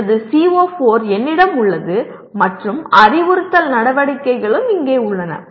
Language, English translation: Tamil, I have my CO4 and instructional activities are also in this here